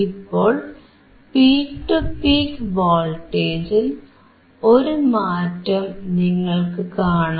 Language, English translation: Malayalam, Now you see there is a change in the peak to peak voltage it is 4